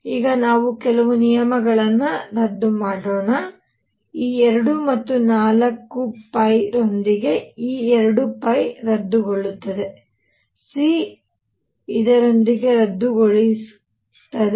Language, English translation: Kannada, Let us now cancel a few terms; this 2 pi cancels with this 2 and 4 pi; c cancels with this c